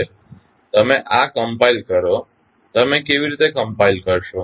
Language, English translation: Gujarati, Now, you compile this, how you will compile